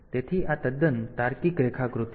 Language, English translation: Gujarati, So, this is the totally logical diagram